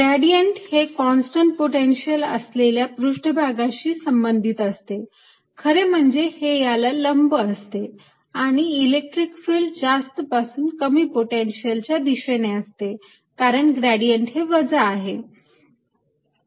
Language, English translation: Marathi, gradient is related to constant potential surfaces, in fact it's perpendicular to this, and electric field points in the direction from lower to higher potential and electric field points from higher to lower potential because minus the gradient